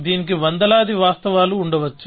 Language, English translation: Telugu, There may be hundreds of applicable actions